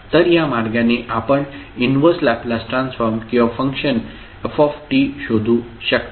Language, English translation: Marathi, So, with this way, you can find out the inverse Laplace transform or function ft